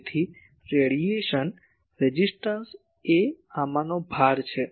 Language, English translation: Gujarati, So, radiation resistance is the load in these